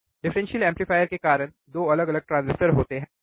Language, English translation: Hindi, Because the differential amplifier we have a 2 different transistors in the differential amplifier